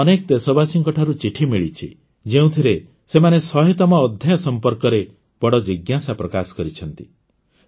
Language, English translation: Odia, I have received letters from many countrymen, in which they have expressed great inquisitiveness about the 100th episode